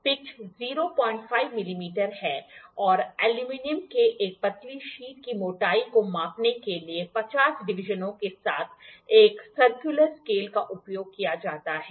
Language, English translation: Hindi, 5 millimeter and a circular scale with 50 divisions is used to measure the thickness of a thin sheet of Aluminium